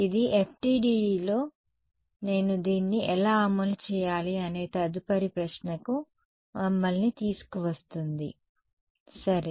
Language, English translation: Telugu, So, that brings us to the next question of how do I actually implement this in FDTD ok